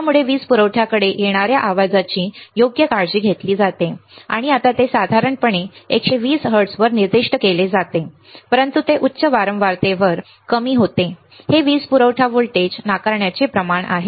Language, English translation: Marathi, So, that the noise coming to a power supply is taken care of right and now it is generally usually it is usually specified at 120 hertz, but it drops at the higher frequency this is about the power supply voltage rejection ratio